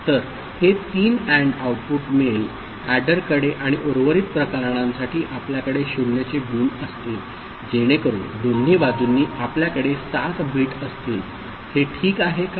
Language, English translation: Marathi, So, this 3 AND output will be going to the adder and the for the rest of the cases we will be having 0’s, so that both side we are having 7 bit is it fine